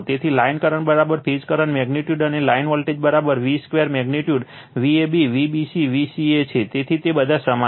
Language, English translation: Gujarati, So, line current is equal to phase current magnitude right and line voltage is equal to v square magnitude V a b V b c V c a, so they are all same